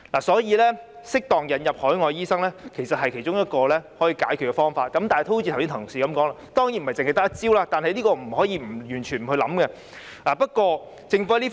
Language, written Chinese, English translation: Cantonese, 適當引入海外醫生其實是其中一個解決方法，而正如剛才有同事說，當然不是只用這一招數，但也不能完全不考慮這方法。, Importing an appropriate number of overseas doctors is actually a solution . As colleagues have said earlier this certainly should not be the only measure to be taken but it still cannot be totally excluded from consideration